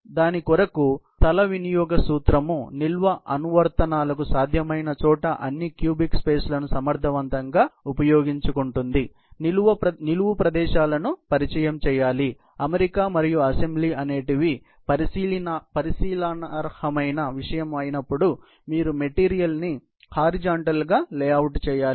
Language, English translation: Telugu, So, space utilization principle makes effective utilization of all cubic spaces, wherever possible for storage applications; introduce vertical spaces, wherever there is a question of fitment and assembly, you have to layout material horizontally